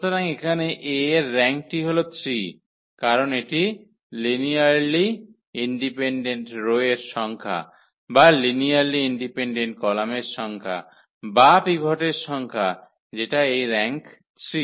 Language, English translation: Bengali, So, here the rank of A is 3 because it s a number of linearly independent rows or number of linearly independent columns or the number of pivots we have this rank 3